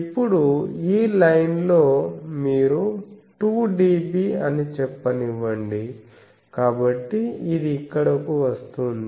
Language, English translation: Telugu, Now, in this line you plot that maybe it is let us say 2 dB, so it will come here